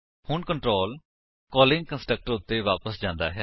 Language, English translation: Punjabi, Now, the control goes back to the calling constructor